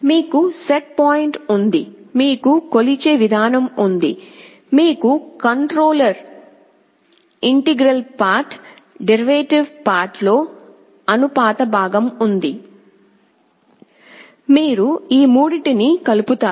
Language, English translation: Telugu, You have the set point, you have the measuring mechanism, you have a proportional part in the controller, integral part, derivative part, you add all of these three up